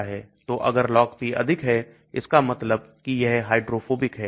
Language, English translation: Hindi, So if the Log P is high that means it is hydrophobic